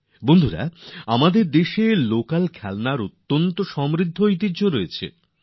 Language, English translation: Bengali, Friends, there has been a rich tradition of local toys in our country